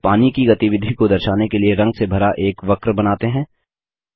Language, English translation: Hindi, Now let us draw a curve filled with color to show the movement of water